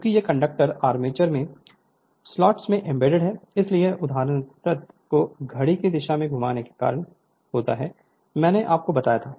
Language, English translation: Hindi, Since these conductors are embedded in slots in the armature, the latter is caused to rotate in a clockwise direction whatever I told you right